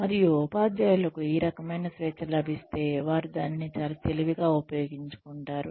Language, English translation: Telugu, And, if the teachers were given this kind of a freedom, they would use it very wisely